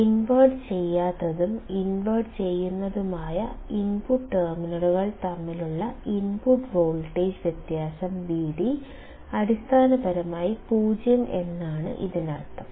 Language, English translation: Malayalam, This means that the difference in input voltage Vd between the non inverting and inverting input terminals is essentially 0